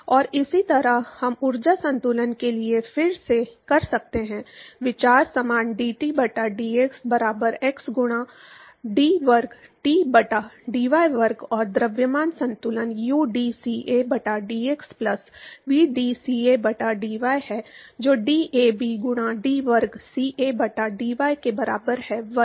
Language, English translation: Hindi, And similarly, we can do for energy balance again, the idea is same dT by dx equal to k into d squareT by d y square and mass balance at the udCa by dx plus vdCa by dy that is equal to DAB into d square Ca by dy square